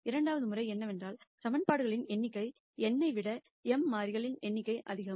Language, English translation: Tamil, The second case is where the number of equations are lot more than the number of variables m greater than n